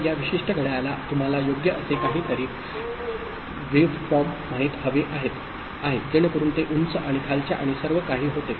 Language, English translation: Marathi, So, this particular clock would have you know a waveform something like this right, so it goes high and low and all